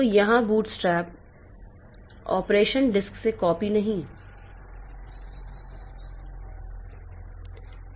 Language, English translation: Hindi, So, there it is here the bootstrap operation is not copying from disk but copying over the network